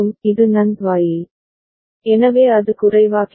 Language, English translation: Tamil, This is NAND gate, so it will become low